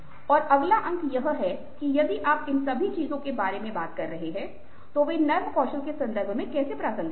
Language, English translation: Hindi, and the next point is that, if you are talking about all these things, how are they relevant in the context of soft skills